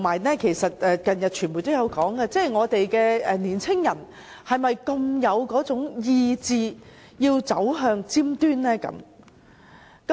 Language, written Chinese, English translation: Cantonese, 而且，近日傳媒也有報道，我們的年青人是否有志走向尖端呢？, Moreover as reported by the media recently do our young people aspire to going to the forefront?